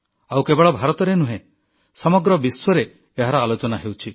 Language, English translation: Odia, Not just in India, it is a part of the discourse in the whole world